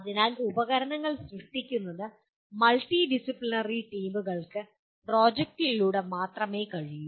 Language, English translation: Malayalam, So creation of tools can only be attempted through projects preferably by multidisciplinary teams